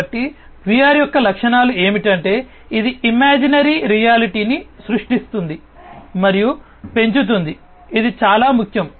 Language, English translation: Telugu, So, the key features of VR are, that it creates and enhances an imaginary reality imaginary reality this is very important right